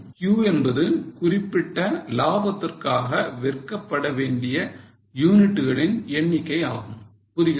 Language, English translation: Tamil, Q is a number of units required to be sold for that level of profit